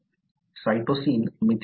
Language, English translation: Marathi, Cytosine gets methylated